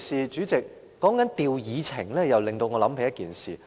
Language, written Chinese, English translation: Cantonese, 主席，提到調動議程，又令我想起一件事。, Chairman rearranging the order of agenda items reminds me of another incident